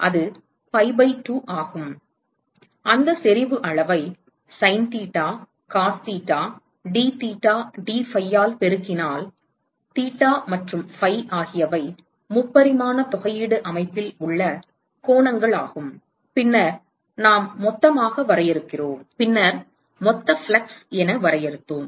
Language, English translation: Tamil, And that is pi by 2, whatever is that intensity quantity multiplied by sine theta cos theta dtheta dphi, where theta and phi are the angles in the 3 dimensional coordinate system and then we define total, then we defined total flux because it is a function of the wavelength